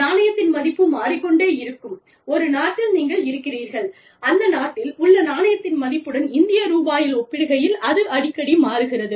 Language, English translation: Tamil, If you are, you know, if you are based in India, and you are operating in a country, where the currency is, the value of the currency is, changing, very frequently, in terms of Indian rupees, or, in comparison with the Indian rupee